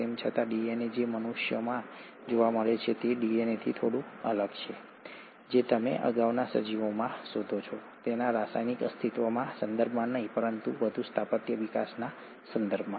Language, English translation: Gujarati, Yet, the DNA which is found in humans is slightly different from the DNA which you find in earlier organisms, not in terms of its chemical entity, but in terms of further architectural development